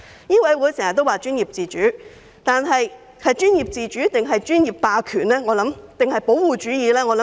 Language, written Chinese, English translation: Cantonese, 醫委會經常談及專業自主，究竟是專業自主，還是專業霸權或保護主意？, MCHK often talks about professional autonomy . After all is it professional autonomy? . Or is it professional hegemony or protectionism?